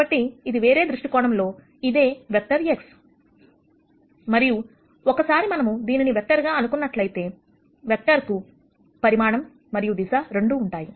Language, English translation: Telugu, So, this is another view of the same vector X and once we think of this as a vec tor then, vector has both direction and magnitude